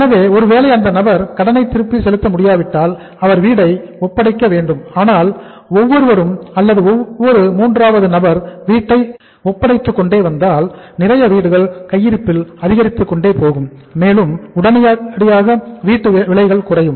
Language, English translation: Tamil, So if the person is not able, is not able to repay the loan he has to surrender the house but if everybody is surrendering the house or every third person is surrendering the house the stock of the inventory of the housing went up and suddenly the price of the housing fell down